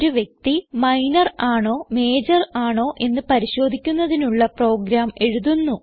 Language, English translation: Malayalam, we will now write a program to identify whether the person is Minor or Major